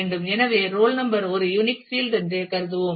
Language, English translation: Tamil, So, we assuming that the role number is a unique field